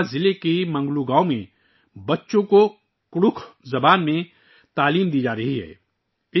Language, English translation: Urdu, Children are being imparted education in Kudukh language in Manglo village of Garhwa district